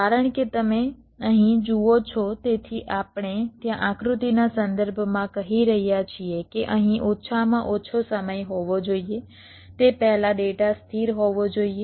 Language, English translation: Gujarati, so here we are saying in there, with respect diagram, that there must be a minimum time here before which the data must be stable